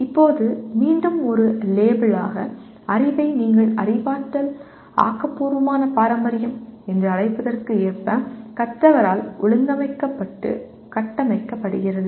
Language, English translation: Tamil, Now just again as a label, knowledge is organized and structured by the learner in line with what you call cognitivist constructivist tradition